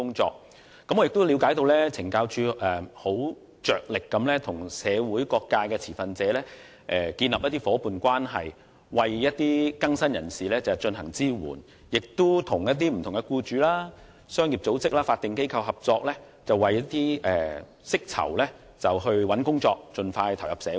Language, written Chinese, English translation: Cantonese, 此外，我亦了解到懲教署着力與社會各界持份者建立夥伴關係，為更生人士提供支援，亦與不同僱主、商業組織和法定機構合作，為釋囚尋找工作，讓他們盡快投入社會。, Moreover I also know that CSD endeavours to establish partnership with various sectors of the community to provide supports to rehabilitated persons and cooperates with different employers business organizations and statutory bodies to find jobs for ex - offenders so that they can integrate into the community as soon as possible